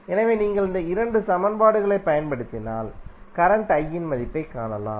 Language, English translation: Tamil, So, if you use these 2 equations you can find the value of current I